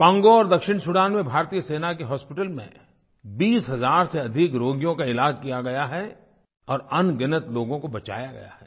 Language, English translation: Hindi, In Congo and Southern Sudan more than twenty thousand patients were treated in hospitals of the Indian army and countless lives were saved